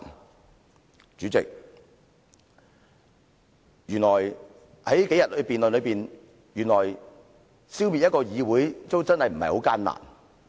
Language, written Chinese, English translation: Cantonese, 代理主席，從這數天的辯論可見，原來消滅一個議會並非很艱難。, Deputy President we can see from the debate over these few days that it is honestly not difficult to ruin a legislature